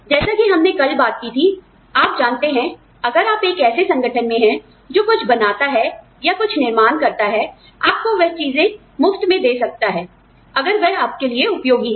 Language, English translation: Hindi, Then, as we talked about it yesterday, you know, if you are in an organization, that makes something, that manufacture something, we will give you those things, for free, if they are of use to you